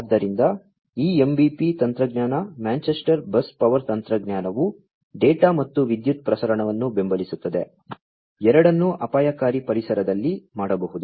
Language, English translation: Kannada, So, this MBP technology Manchester Bus Power technology supports data as well as power transmission, both can be done in hazardous environments